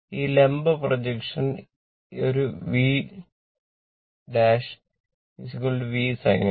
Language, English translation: Malayalam, And this vertical projection this one V dash is equal to V sin alpha